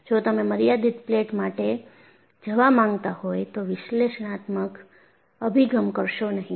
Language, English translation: Gujarati, If you want to go for a finite plate, analytical approach will not do